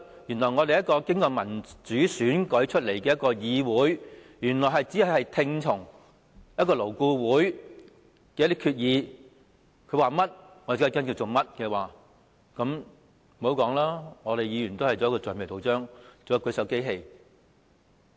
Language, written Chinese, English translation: Cantonese, 原來這個經由民主選舉產生的議會，要聽從勞顧會所作決議，它說甚麼我們也要跟從，那麼議員便繼續充當橡皮圖章和舉手機器。, This democratically - elected Council has now become a legislature to follow the decisions of LAB and do whatever it said thus Members can simply be rubber stamps and hand - raising machines